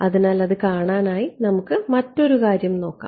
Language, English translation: Malayalam, So, to see that let us have a look at one other thing